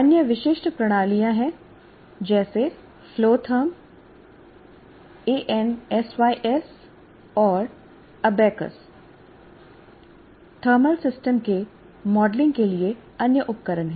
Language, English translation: Hindi, And there are other specialized systems like flow therm, ANSIs, and ABACUS are other tools for modeling thermal systems